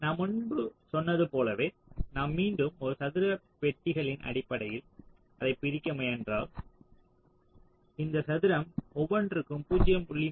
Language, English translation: Tamil, so if you again, similarly as i said earlier, try to discretize it in terms of square boxes, each of this square will be point three, two micron